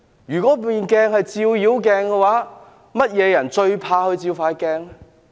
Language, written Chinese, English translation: Cantonese, 如果調查委員會是一面照妖鏡，哪些人最怕照這鏡子？, Suppose the investigation committee is a magic mirror who will be most afraid to look in it?